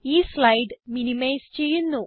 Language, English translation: Malayalam, Let me minimize the slides